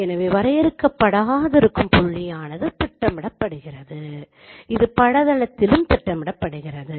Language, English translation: Tamil, So the point which is at infinity that would be projected, that would be also projected in the image plane